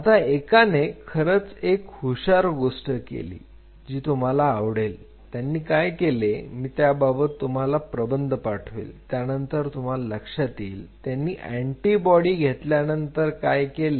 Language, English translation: Marathi, Now, somebody did a very smart thing you will love what they did and I will send you the paper then you will realize what they did they take this antibody